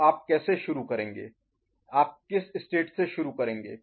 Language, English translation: Hindi, So, how would you start, from which state do you start